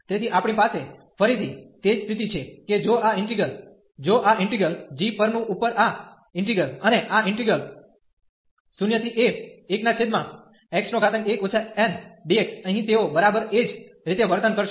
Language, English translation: Gujarati, So, we have again the same situation that if this integral if this integral over g, and this integral here, they will behave exactly the same